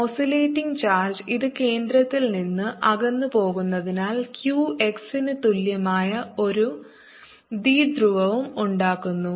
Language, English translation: Malayalam, oscillating charge, since this move away from the centre, also make a typo which is equal to q, x